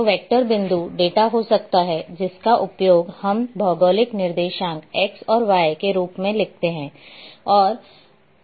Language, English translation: Hindi, So, vector can be point data which we use the geographic coordinates that is x and y